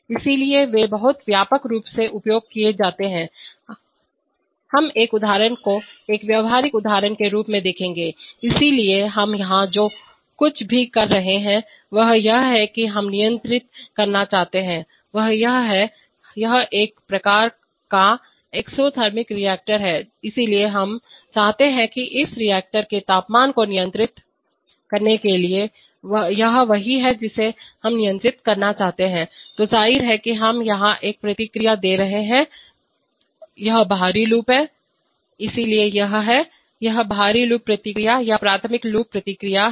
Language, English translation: Hindi, Therefore they are very widely used, we will look at an example a practical example, so what we are having here is that we are having, we want to control, this is that, this is a kind of an exothermic reactor, so we want to control the temperature of this reactor, this is what we want to control, so obviously we are giving a feedback here, this is outer loop, so this is the, this is the outer loop feedback or primary loop feedback